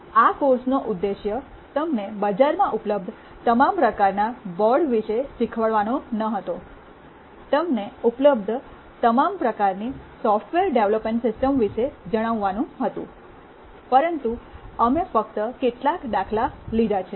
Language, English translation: Gujarati, The objective of this course was not to teach you about all the kinds of boards that are available in the market, to tell you about all the kinds of software development systems which are available, but rather we have taken a couple of examples only